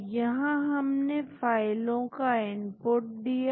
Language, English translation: Hindi, So, here we input the file